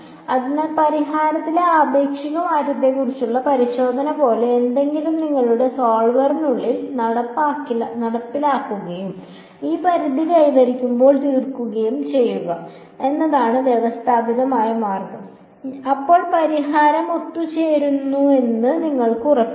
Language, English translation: Malayalam, So, the systematic way is to implement inside your solver something like a check on the relative change in solution and stop when this threshold has been met then you can be sure that the solution has converged